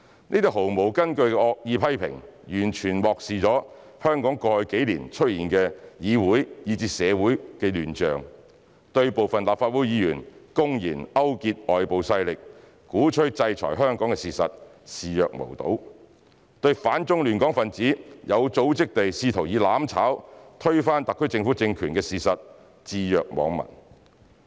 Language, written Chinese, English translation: Cantonese, 這些毫無根據的惡意批評完全漠視香港過去幾年出現的議會以至社會亂象；對部分立法會議員公然勾結外部勢力，鼓吹制裁香港的事實視若無睹；對反中亂港分子有組織地企圖以"攬炒"推翻特區政權的事實置若罔聞。, These unfounded and malicious criticisms have completely ignored the chaos in the legislature and society of Hong Kong over the past few years . They have turned a blind eye and a deaf ear to the fact that some Members of the Legislative Council blatantly colluded with external forces and advocated sanctions against Hong Kong and the reality that some anti - China disruptors made organized attempts to overthrow the SAR Government by acts of mutual destruction